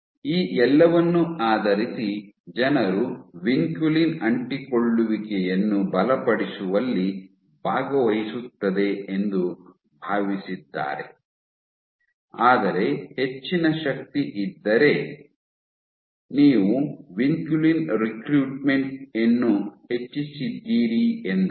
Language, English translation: Kannada, So, based on all of this people have thought that vinculin participates in strengthening adhesions such that if there is increased force then you have increased recruitment of vinculin